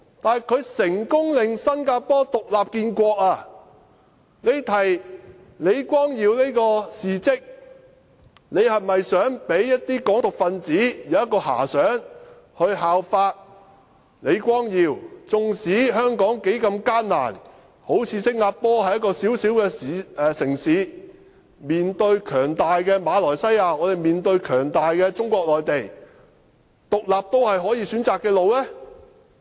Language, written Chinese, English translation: Cantonese, 但是，他成功令新加坡獨立建國，他提出李光耀先生的事跡，是否想讓一些"港獨"分子有所遐想，效法李光耀先生——縱使香港多麼艱難，正如新加坡般只是一個小小的城市，面對強大的馬來西亞，而香港面對強大的中國內地，獨立也是可選擇的道路？, However he succeeded in making Singapore an independent state . By recapping Mr LEE Kuan Yews achievement does he intend to give whimsical thought to some Hong Kong independence elements to follow the example of Mr LEE Kuan Yew no matter how hard the conditions are in Hong Kong? . Just like the small city of Singapore facing a strong Malaysia then and Hong Kong facing a mighty Mainland China now can independence be an alternative option?